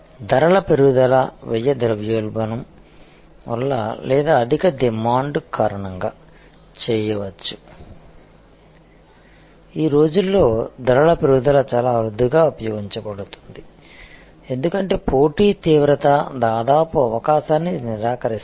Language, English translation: Telugu, Price increase can be done due to a cost inflation or over demand, these days of course, price increase can be very seldom deployed, because the competition intensity almost a negates the possibility